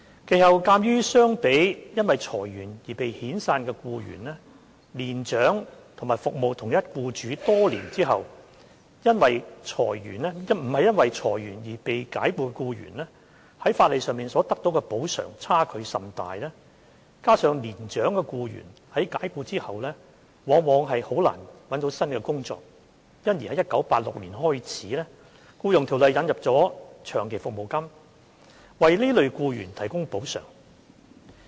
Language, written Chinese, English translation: Cantonese, 其後，鑒於相比因裁員而被遣散的僱員，年長及服務同一僱主多年後非因裁員而被解僱的僱員，在法例上所得補償差距甚大；加上年長的僱員在解僱後往往甚難覓得新工作，因而由1986年開始，《僱傭條例》引入長期服務金，為這類僱員提供補償。, After that given the huge gap in the amount of compensation receivable under the law by older employees dismissed for reasons other than redundancy after serving the same employer for a long period of time compared with employees dismissed owing to redundancy and coupled with the fact that it was very often quite difficult for older employees to find a new job after dismissal long service payment was introduced into EO in 1986 to compensate such employees